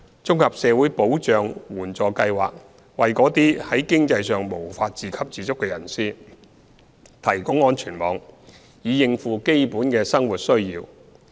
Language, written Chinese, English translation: Cantonese, 綜合社會保障援助計劃為那些在經濟上無法自給自足的人士提供安全網，以應付基本生活需要。, The Comprehensive Social Security Assistance Scheme provides a safety net for those who are unable to support themselves financially to meet their basic needs